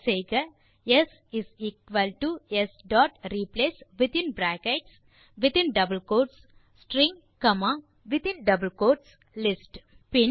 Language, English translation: Tamil, so type s = s dot replace within brackets and double quotes string,again brackets and double quotes list